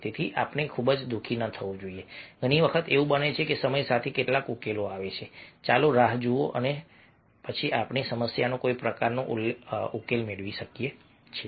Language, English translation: Gujarati, many times it happens that with the time some solutions comes, let us wait and watch and then we can get some sort of solution to the problem